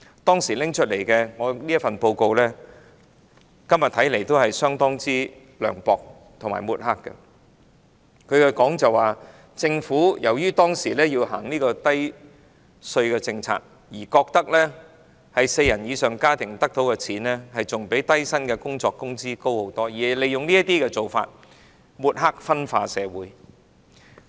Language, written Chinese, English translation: Cantonese, 當時發表的報告，今天看來仍然非常涼薄和有抹黑之嫌，該報告指政府當時由於實施低稅政策，認為四人以上家庭所得的款額比低薪工作的工資高很多，利用這些做法抹黑、分化社群。, The report published at that time still looks very unsympathetic and smacks of smearing today . The report indicated that as the Government implemented a low tax policy at that time it is believed that the amount of CSSA payment received by families with more than four members was much higher than the wages of low - paid jobs . Such practices were used to sling mud at CSSA recipients and create division among different groups in society